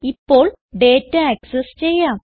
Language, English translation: Malayalam, let us now access data